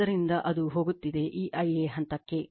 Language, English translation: Kannada, So, it is going to this phase I a